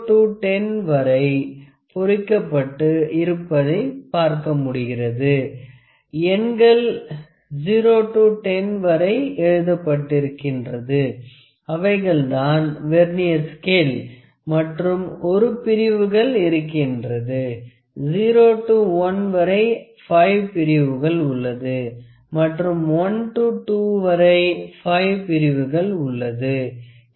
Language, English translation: Tamil, You can see the markings from 0 to 10, the numbers are written from 0 to 10 which is a Vernier scale and within 1 within this 1 division, not 1 division within this 1 number from 0 to 1, we have 5 divisions; from 1 to 2 we will have 5 divisions